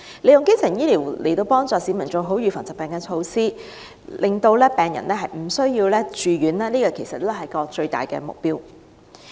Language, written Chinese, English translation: Cantonese, 利用基層醫療協助市民做好預防疾病的措施，令病人無需住院，是有關服務的最大目標。, The biggest goal of providing primary healthcare services is to assist people in taking illness prevention measures so that there will be no need for hospitalization